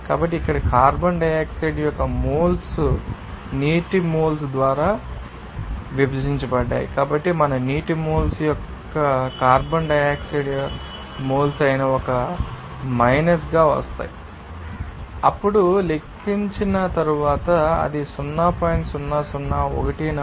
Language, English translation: Telugu, So, here moles of carbon dioxide divided by then moles of water, so, moles of our water will be coming becoming as one minus that is moles of carbon dioxide, then, after calculation, it is coming at 0